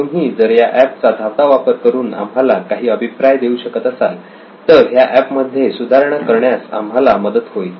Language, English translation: Marathi, If you can run through the app and give us any feedback in terms of making this even more better